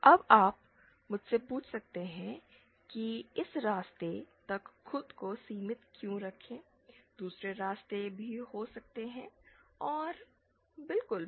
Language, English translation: Hindi, Now you might have asked me why restrict ourselves to this path, there can be other paths also and absolutely